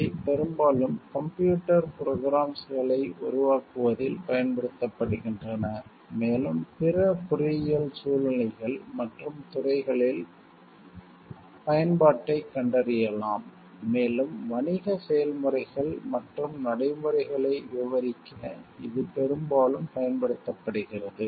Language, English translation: Tamil, They are most often used in developing computer programs, also find application in other engineering situations and disciplines, and it is often used to describe business processes and procedures